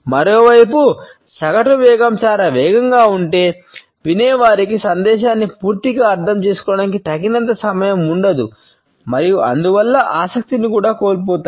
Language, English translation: Telugu, On the other hand, if the average speed is too fast the listener does not have enough time to interpret fully the message and therefore, would also end up losing interest